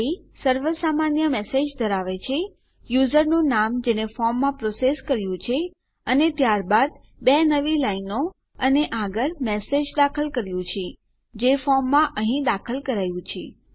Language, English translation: Gujarati, So our body consists of a generic message here, the users name that we have processed in the form and then two new lines and next we have entered the message that has been entered in our form here